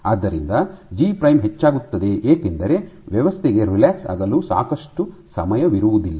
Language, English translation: Kannada, So, G prime increases because the system does not have enough time to relax ok